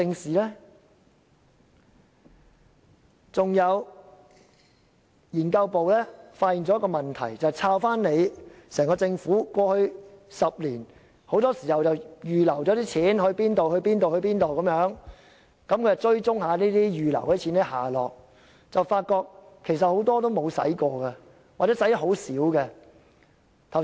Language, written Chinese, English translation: Cantonese, 此外，資料研究組發現了另一個問題，政府過去10年預留了多筆款項，資料研究組追蹤這些預留款項的下落，發現很多根本沒有花，或只花了很小部分。, The Research Office has also identified another problem which is the Government has set aside various sums of money in the past decade . After tracking down the whereabouts of these funds the Research Office finds that most of the money have not been spent or only a small portion of money have been spent